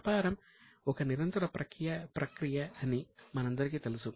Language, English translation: Telugu, We all know that the business is a continuous process